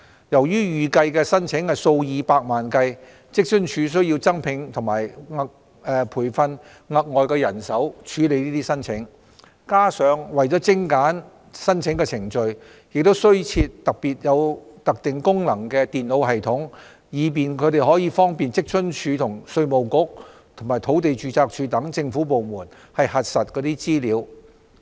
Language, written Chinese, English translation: Cantonese, 由於預計的申請數以百萬計，職津處需增聘和培訓額外人手處理申請，加上為精簡申請程序，亦需增設具特定功能的電腦系統，方便職津處與稅務局及土地註冊處等政府部門核實資料。, It needs to recruit and train additional staff to cater for the anticipated influx of millions of applications . Moreover to streamline the application process computer systems with specific functions are required to facilitate verification by departments such as WFAO the Inland Revenue Department and the Land Registry etc